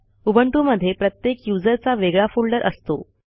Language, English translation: Marathi, Every user has a unique home folder in Ubuntu